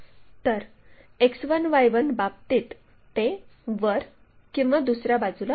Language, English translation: Marathi, So, about X 1 axis X1Y1 axis it will be above on the other side